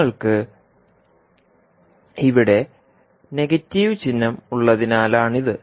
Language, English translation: Malayalam, So, this is because you have the negative sign here